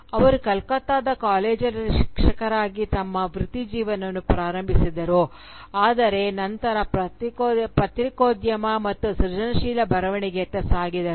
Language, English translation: Kannada, She started her career as a teacher in a college in Kolkata but then navigated towards journalism and creative writing